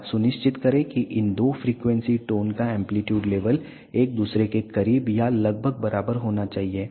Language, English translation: Hindi, Now, make sure that the amplitude levels of these two frequency tones has to be very close to each other or nearly equal